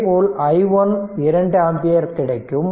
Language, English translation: Tamil, So, i 1 is equal to 2 ampere right